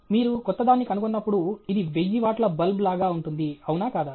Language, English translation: Telugu, When you are finding something new, it’s like thousand watt bulb; isn’t it